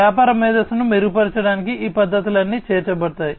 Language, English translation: Telugu, All these techniques will be incorporated to improve upon the business intelligence